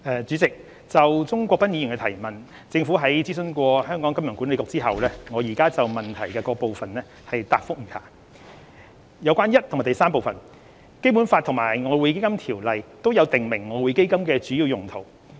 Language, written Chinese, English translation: Cantonese, 主席，就鍾國斌議員的提問，政府已諮詢香港金融管理局，我現就質詢各部分答覆如下：一及三《基本法》及《外匯基金條例》均有訂明外匯基金的主要用途。, President upon consultation with the Hong Kong Monetary Authority the Governments reply to the various parts of the question raised by Mr CHUNG Kwok - pan is as follows 1 and 3 The major uses of the Exchange Fund EF are stipulated in both the Basic Law and the Exchange Fund Ordinance